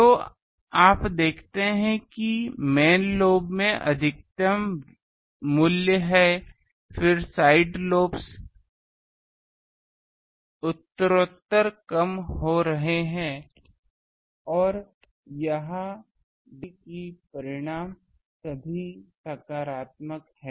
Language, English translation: Hindi, So, you see that there is a maximum value in main lobe then there are side lobes progressively decreasing and seen this is magnitude all are positive